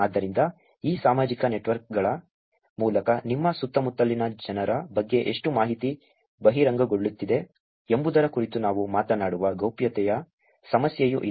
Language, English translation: Kannada, Therefore, there is also a privacy issue which we will talk about which is how much information about people around you is getting revealed through these social networks